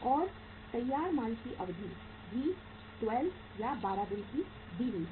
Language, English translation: Hindi, And duration of the finished goods is also given that is 12 days